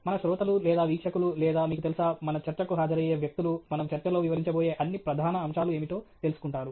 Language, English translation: Telugu, Our listeners or viewers or, you know, people who are attending our talk get an idea of what are all the major aspects that we are going to cover in the talk